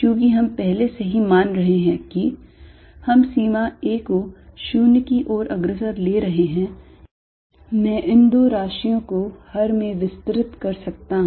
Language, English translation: Hindi, Since, we are already assuming that we are going to take the limit a going to 0, I can expand these two quantities in the denominator